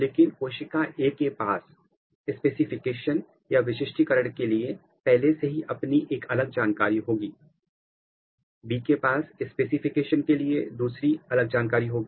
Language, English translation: Hindi, But, cell A will already have its own information for a specification, B will have another information for the specification